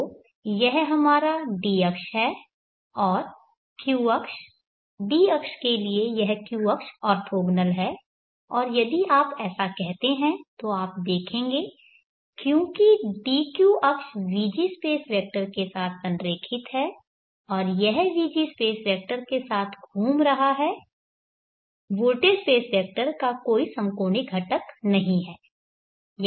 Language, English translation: Hindi, d angle now let me position the q axis write the position that d axis so I am positioning that d axis which is aligned along the voltage space vector Vg so this is our d axis and the q axis is orthogonal to the d axis and that is the q axis and if you do this you will see that because the dq axis is aligned along the Vg space vector and it is rotating along with the Vg space vector there is no quadrature component of the voltage space vector only Vd is there